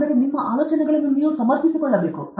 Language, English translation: Kannada, So, you should be able to defend your ideas